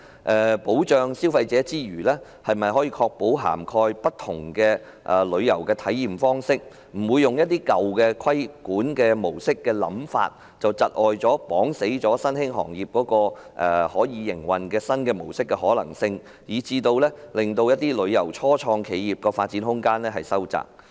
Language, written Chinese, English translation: Cantonese, 在保障消費者之餘，是否可確保涵蓋不同的旅遊體驗方式，不會讓規管模式的舊有想法，窒礙新興行業採用營運新模式的可能性，以致一些初創旅遊企業的發展空間收窄？, Besides protecting consumers is it possible to ensure the coverage of different modes of travel experience so that the existing idea on regulation will not hinder the development of new operation mode by emerging trades resulting in narrowing the scope of development of some tourism start - ups?